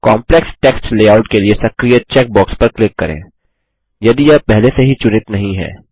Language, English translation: Hindi, Click on the check box Enabled for complex text layout, if it is not already checked